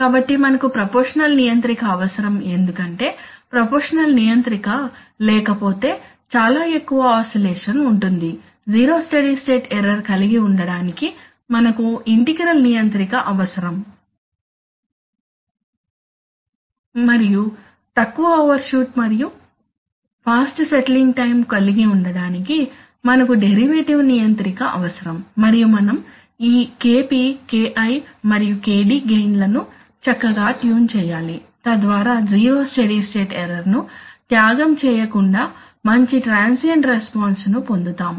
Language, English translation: Telugu, So we need a we need a proportional controller because if you do not have a proportional controller then there will be tend to be too much too much of oscillation we need an integral controller to have zero steady state error and we need to have a derivative controller to have low overshoot and fast settling time and we need to tune this gains Kp, Ki and Kd nicely so that we get a good transient response without sacrificing on the zero steady state error